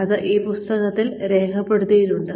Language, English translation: Malayalam, That have been recorded in this book